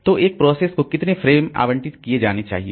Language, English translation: Hindi, So, how many frames should be allocated to process